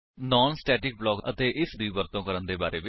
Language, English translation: Punjabi, In this tutorial we learnt about non static block and how to use this block